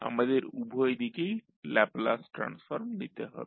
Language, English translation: Bengali, We have to take the Laplace transform on both sides